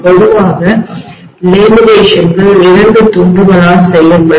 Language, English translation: Tamil, Generally, laminations are made in such a way that they will be made by 2 pieces